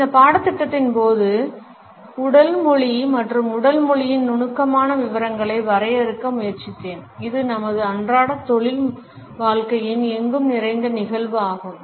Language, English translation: Tamil, During this course, I have attempted to delineate the nuance details of body language and body language is an omnipresent phenomenon of our daily professional life